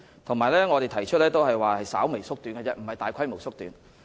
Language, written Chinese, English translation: Cantonese, 我們只是提出稍微縮短，而非大規模縮短。, We only proposed shortening them slightly not substantially